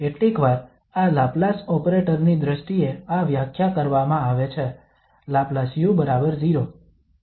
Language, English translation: Gujarati, Sometimes this is defined in terms of this Laplace operator, Laplace u equal to 0